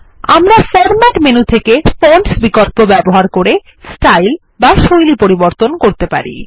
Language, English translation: Bengali, We can change the font style by choosing Fonts under the Format menu